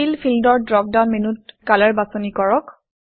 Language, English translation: Assamese, In the Fill field, from the drop down menu, choose Color